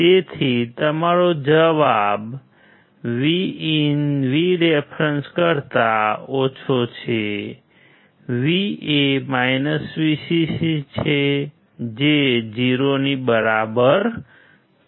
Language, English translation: Gujarati, So, your answer is VIN is less than VREF; V is VCC which is equal to 0